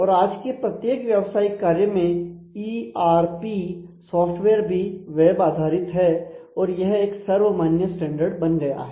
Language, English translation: Hindi, And every even every enterprise operations the ERP are now web based and that is become a de facto standard